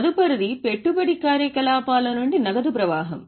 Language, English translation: Telugu, Next is cash flow from investing activities